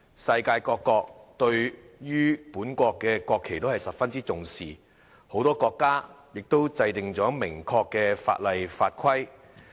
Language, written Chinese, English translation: Cantonese, 世界各國對於本國的國旗都十分重視，很多國家都制定了明確的法例法規。, Countries worldwide attach great importance to their own national flags and many countries have enacted clear laws and regulations